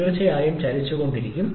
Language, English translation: Malayalam, And by that time, the piston definitely keeps on moving